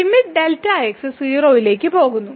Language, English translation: Malayalam, So, the limit delta goes to 0